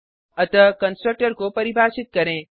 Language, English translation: Hindi, So let us define the constructor